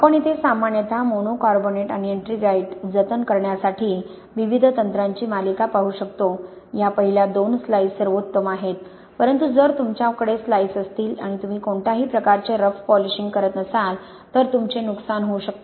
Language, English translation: Marathi, We can see over here a series of different techniques generally for preserving the monocarbonate and the ettringite, these first two of the slice Of the the best but if you have a slice and you do not do any sort of rough polishing then you can have a bad impact on your Portlandite